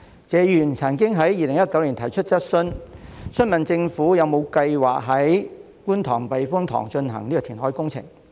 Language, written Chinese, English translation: Cantonese, 謝議員曾經在2019年提出質詢時，詢問政府有否計劃在觀塘避風塘進行填海工程。, In his question raised in 2019 Mr TSE once asked whether the Government had any plan to carry out reclamation works at the Kwun Tong Typhoon Shelter KTTS